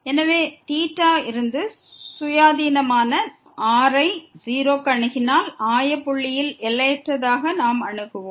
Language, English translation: Tamil, So, independent of theta, we if we approach r to 0; we will approach to infinite to this origin